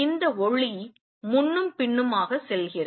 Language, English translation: Tamil, And this light goes back and forth